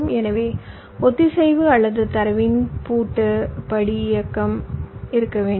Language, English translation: Tamil, so there should be a synchronization or a lock step movement of the data